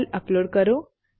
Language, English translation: Gujarati, Upload a file